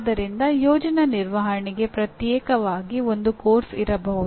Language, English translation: Kannada, So there may be a course exclusively for project management